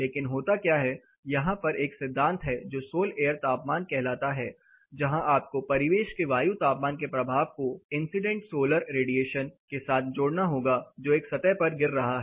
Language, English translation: Hindi, But what happens there is a concept calls sol air temperature where you have to add the effect of ambient air temperature along with the incident solar radiation which is following in a surface